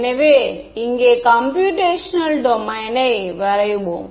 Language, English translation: Tamil, So, let us also draw computational domain over here